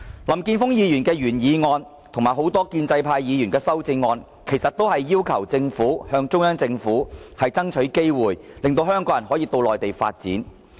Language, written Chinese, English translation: Cantonese, 林健鋒議員的原議案及多位建制派議員的修正案，其實不外乎要求政府向中央政府爭取機會，讓香港人可到內地發展。, Mr Jeffrey LAMs original motion and the amendments of various pro - establishment Members all boil down to a simple request to the Central Government for more development opportunities in the Mainland for Hong Kong people